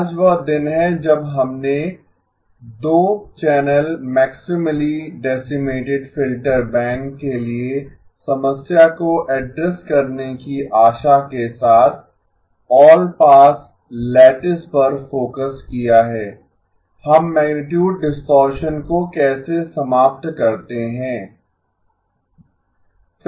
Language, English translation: Hindi, Today is the day we focus on allpass lattice with the hope of addressing the issue for the 2 channel maximally decimated filter bank, how do we eliminate amplitude distortion